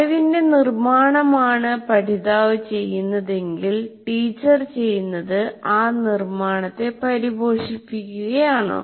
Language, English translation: Malayalam, But if construction is what the learner does, what the teacher does is to foster that construction